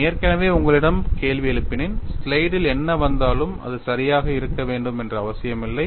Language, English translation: Tamil, I have already questioned you whatever that is coming on the slide not necessarily be correct